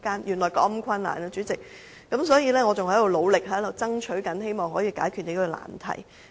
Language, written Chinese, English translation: Cantonese, 代理主席，原來事情是如此困難，我仍在努力爭取，希望可以解決這個難題。, Deputy Chairman this matter is actually very complicated . I am still working on it in the hope of resolving this difficult issue